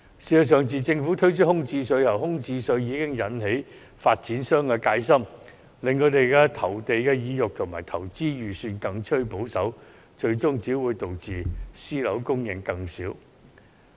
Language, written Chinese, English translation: Cantonese, 事實上，自政府提出空置稅後，已引起發展商的戒心，令他們的投地意欲及投資預算更趨保守，最終只會導致私樓供應量更少。, In fact the Governments proposal of the vacancy tax has already raised wariness among developers dampening their interests and budgets in land acquisition . In the end this will only cause another drop in the supply of private housing